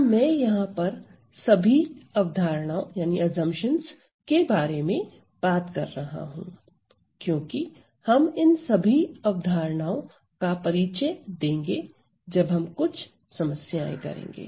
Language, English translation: Hindi, So, I am going I am talking about all these concepts, because we are going to introduce all these notions, when we do some problems